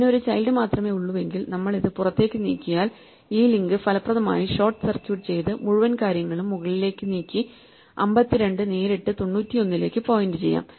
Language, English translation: Malayalam, So, if it has only one child then we move this out then we can just effectively short circuit this link and move this whole thing up and make 52 point to 91 directly